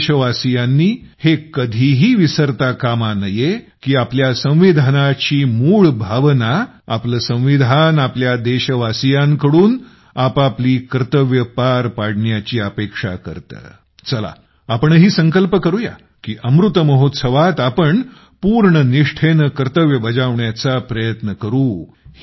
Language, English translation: Marathi, We the countrymen should never forget the basic spirit of our Constitution, that our Constitution expects all of us to discharge our duties so let us also take a pledge that in the Amrit Mahotsav, we will try to fulfill our duties with full devotion